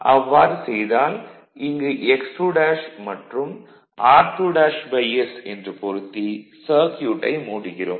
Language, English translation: Tamil, So, if you bring it it is X 2 dash and r 2 dash and circuit is closed